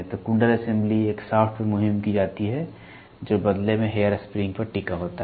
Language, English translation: Hindi, So, the coil assembly is mounted on a shaft which in turn is hinged on a hair spring